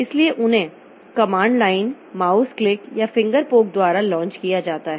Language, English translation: Hindi, So they are launched by command line mouse click or finger poke